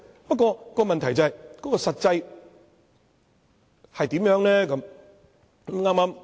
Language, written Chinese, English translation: Cantonese, 不過，問題是，實際情況如何？, But the problem is what is the practical situation?